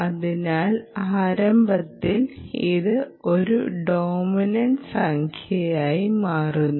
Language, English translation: Malayalam, so then this becomes, start becoming a dominant number